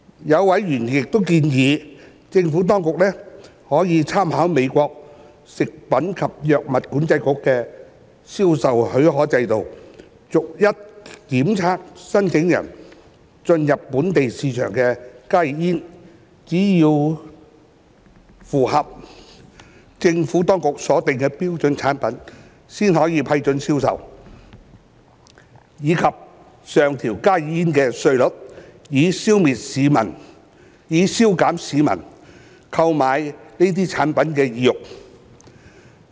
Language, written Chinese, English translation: Cantonese, 有委員亦建議，政府當局可參考美國食品及藥物管理局的銷售許可制度，逐一檢測申請進入本地市場的加熱煙，只有符合政府當局所訂標準的產品，才可批准銷售，以及上調加熱煙的稅率，以消減市民購買這些產品的意欲。, Certain members have proposed that the Administration may refer to the sale permit system implemented by the US Food and Drug Administration FDA by testing every HTP applying to enter the local market where authorization for sale should only be granted if the standards set by the Administration could be satisfied . The excise duty on HTPs should also be raised to further disincentivize the purchase of these products